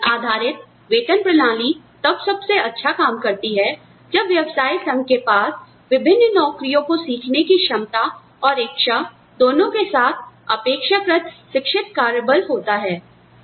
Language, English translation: Hindi, Individual based pay system, works best, when the firm has a relatively educated workforce, with both the ability and willingness, to learn different jobs